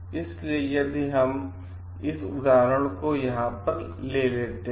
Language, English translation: Hindi, So, if we take that example over here